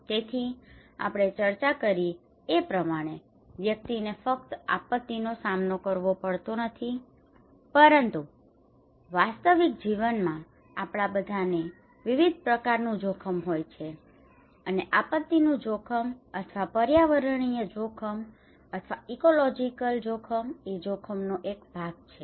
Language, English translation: Gujarati, So we discussed that individual does not face only disaster, but in real life we all have different kind of risk, and disaster risk or environmental risk or ecological risk is just one part of that risk